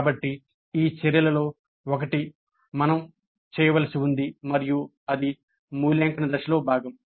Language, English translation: Telugu, So, one of these actions we need to do and that's part of the evaluate phase